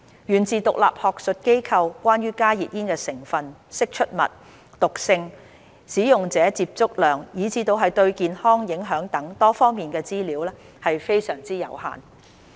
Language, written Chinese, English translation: Cantonese, 源自獨立學術研究，關於加熱煙成分、釋出物、毒性、使用者接觸量以至對健康影響等多方面的資料，非常有限。, Information on the content emissions toxicities user exposure and health effects from independent research groups are very limited in general